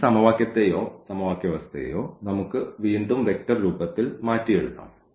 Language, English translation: Malayalam, So, we can again rewrite these equation or the system of equation in this form in the vectors form